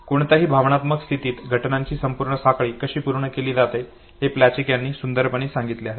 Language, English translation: Marathi, Plutchik has beautifully explained how the whole chain of events is completed during any emotional state